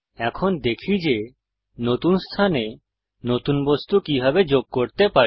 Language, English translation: Bengali, Now let us see how we can add a new object to a new location